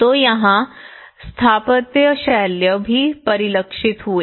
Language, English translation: Hindi, So here, the architectural style also reflected